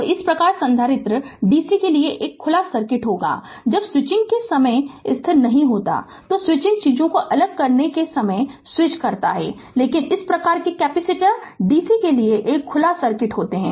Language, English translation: Hindi, So, thus the capacitor is an open circuit to dc when you going for steady not at the time of switching, switching at the time of switching things different right, but thus a capacitor is open circuit to dc